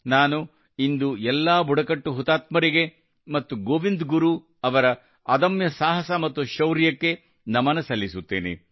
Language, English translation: Kannada, Today I bow to all those tribal martyrs and the indomitable courage and valor of Govind Guru ji